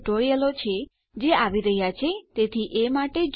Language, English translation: Gujarati, I have some other security tutorials that are coming up so look out for those